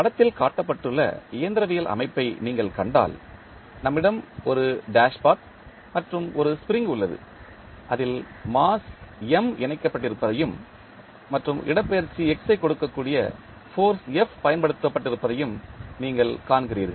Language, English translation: Tamil, If you see the mechanical system shown in the figure, we have one dashpot and one spring at which you see the mass M connected and force F is applied which is giving the displacement X